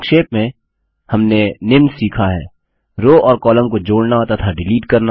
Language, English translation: Hindi, To summarize, we learned about: Inserting and Deleting rows and columns